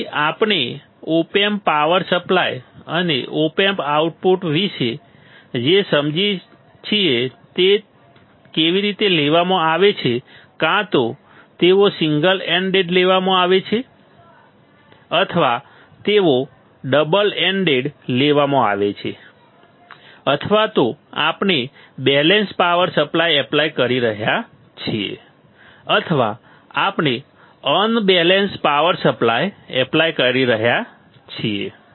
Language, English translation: Gujarati, So, this is the what we are understanding about the op amps power supply and op amp outputs how they are taken either they are taken single ended or they are taken double ended either we are applying balanced power supply or we are applying unbalanced power supply ok